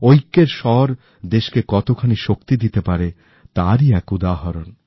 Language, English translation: Bengali, It is an example of how the voice of unison can bestow strength upon our country